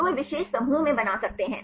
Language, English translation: Hindi, So, they can form in particular clusters